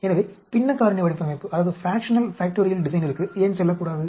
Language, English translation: Tamil, So, why not go into Fractional Factorial Design